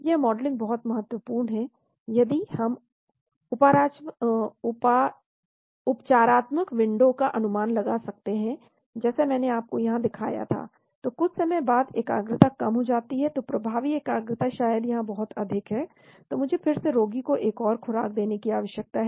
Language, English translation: Hindi, This modeling is very important because we can estimate therapeutic window , like I showed you here, so after sometime concentration goes down, so the effective concentration maybe much higher here here, so I need to again give another dose to the patient